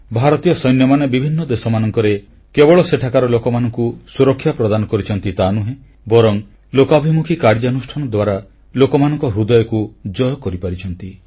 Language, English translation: Odia, Indian security forces have not only saved people in various countries but also won their hearts with their people friendly operations